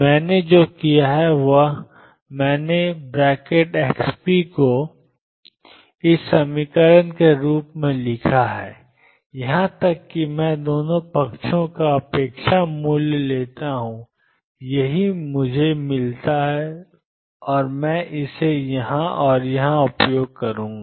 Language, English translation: Hindi, What I have done is I have written x p product as xp plus px divided by 2 plus x p minus px divided by 2 even I take the expectation value on the 2 sides this is what I get and I will use this here and here